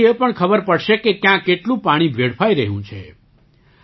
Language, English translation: Gujarati, From this it will also be ascertained where and how much water is being wasted